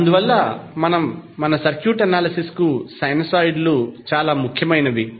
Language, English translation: Telugu, So, therefore the sinusoids are very important for our circuit analysis